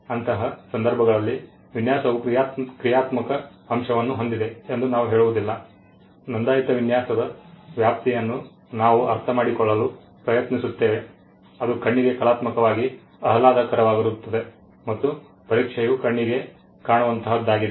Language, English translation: Kannada, In such cases we do not say that design has a functional element we try to understand the scope of a registered design is for things that are aesthetically pleasing to the eye and the test is what the eye can see